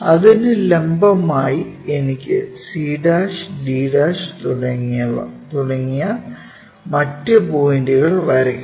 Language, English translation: Malayalam, Perpendicular to that I have to draw this other points like c' and d'